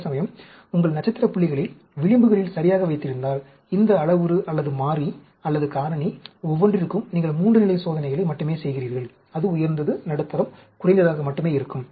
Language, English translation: Tamil, Whereas, if you are keeping your star points right on the edges, you are doing only 3 level experiments, for each of these parameter, or variable, or factor; it will be high, medium, low only